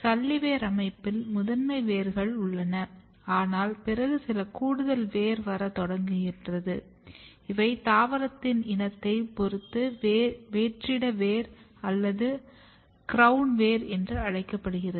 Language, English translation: Tamil, In fibrous root system there are primary roots, but later on there are some additional roots which starts coming in these systems which are normally called adventitious root or crown roots depending on the species